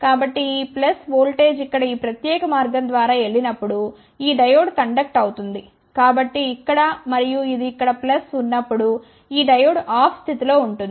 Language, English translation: Telugu, So, this plus voltage goes through here so this diode would conduct through this particular path over here and when this is plus here